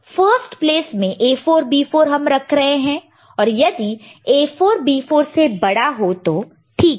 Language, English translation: Hindi, So, in the first place this A 4 B 4 we are placing it here and A 4 if it is greater than B 4, then it is fine